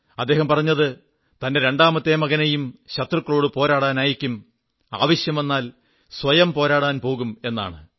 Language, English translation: Malayalam, He has expressed the wish of sending his second son too, to take on the enemy; if need be, he himself would go and fight